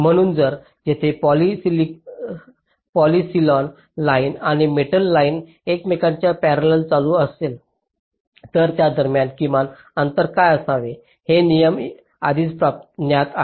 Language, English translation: Marathi, so if there is a poly silicon line and metal line running parallel to each other, what should be the minimum separation between them